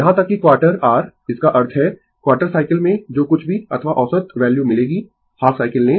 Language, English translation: Hindi, Even quarter your; that means, in quarter cycle whatever rms or average value you will get ah you take half cycle